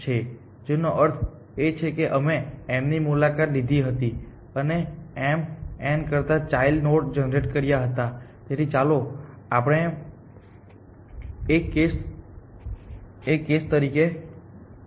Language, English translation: Gujarati, Which means we had already visited m and expanded m and generated children of m n, so on and so for, so let us take this as a case